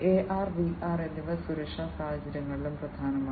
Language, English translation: Malayalam, Both AR and VR are also important in safety scenarios